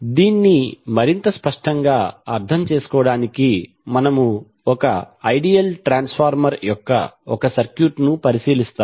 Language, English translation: Telugu, So to understand this more clearly will we consider one circuit of the ideal transformer